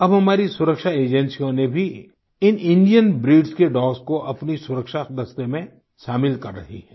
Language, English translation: Hindi, Now, our security agencies are also inducting these Indian breed dogs as part of their security squad